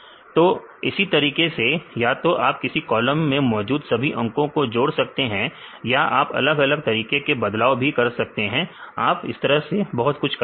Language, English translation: Hindi, So, likewise you can either add all the numbers in the column in the new row or you can add different manipulate this columns